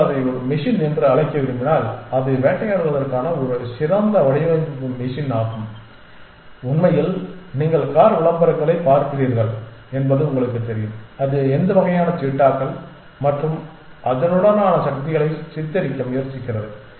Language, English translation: Tamil, And if you want to call it a machine is a perfectly design machine for hunting its it can in fact, you know you get to see car adds which kind of try to portrait them as cheetahs and stuff like that